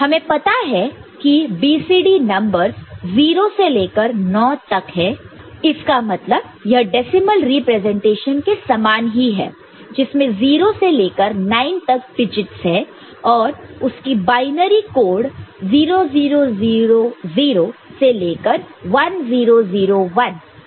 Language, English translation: Hindi, So, this is the decimal number, decimal representation you have got digits from 0 to 9 right and corresponding binary codes are 0 0 0 0 to 1 0 0 1